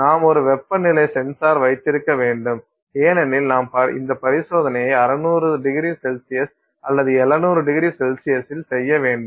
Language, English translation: Tamil, You have to also have a temperature sensor because let's say you want to do this experiment at 600 degree C or 700 degree C